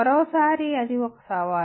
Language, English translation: Telugu, Once again it is a challenge